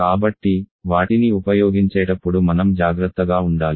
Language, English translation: Telugu, So you have to be careful while using them